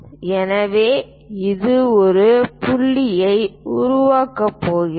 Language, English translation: Tamil, So, it is going to make a point B